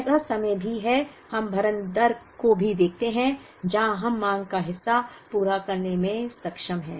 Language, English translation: Hindi, There are times; we also look at the fill rate, where we are able to meet part of the demand